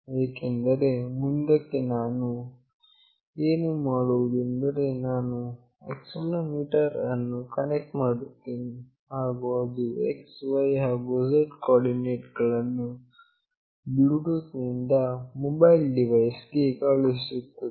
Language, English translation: Kannada, Because later what we will do is that we will connect accelerometer, and will transmit the x, y, z coordinates through Bluetooth to the mobile device